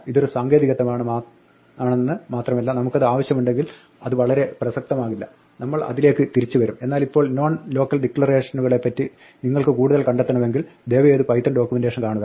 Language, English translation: Malayalam, This is a technicality and it will not be very relevant if we need it we will come back it, but for the moment if you want to find out more about non local declarations please see the Python documentation